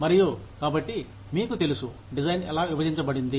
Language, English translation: Telugu, And the, so you know, so how the design is split up